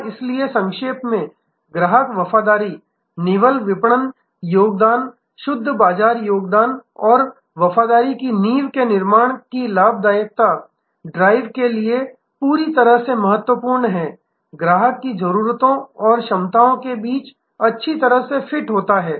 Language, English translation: Hindi, And to summarize therefore, customer loyalty is absolutely important the drives profitability of the net marketing contribution, net market contribution and building a foundation of loyalty involves good fit between customer needs and capabilities